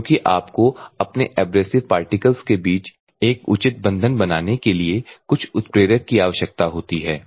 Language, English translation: Hindi, Because you always required some catalyst to functionalization to have a proper bonding between your abrasive particle at the same time resins ok